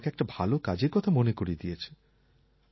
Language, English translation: Bengali, He has reminded me of a good deed by calling me